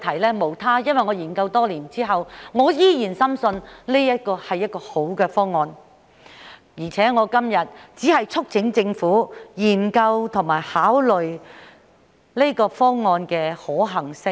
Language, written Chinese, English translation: Cantonese, 原因無他，因為我在研究多年後，依然深信這是一個好方案，而且今天只是促請政府研究和考慮這個方案的可行性。, There is one single reason . After years of study I am still convinced that this is a good proposal and today I am only urging the Government to study and consider the feasibility of this proposal